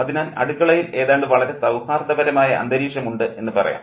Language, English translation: Malayalam, So, there is almost a very, very congenial atmosphere in the kitchen